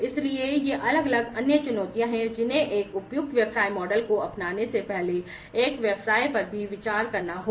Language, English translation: Hindi, So, these are the different other challenges that will also have to be considered by a business, before coming up with the adoption of a suitable business model